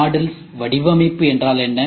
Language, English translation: Tamil, What is modular design